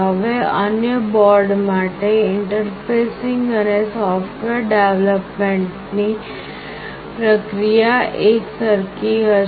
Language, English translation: Gujarati, Now, the process of interfacing and software development for the other boards will be quite similar